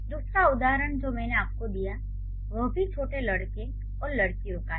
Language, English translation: Hindi, The other example I gave you is also small boys and girls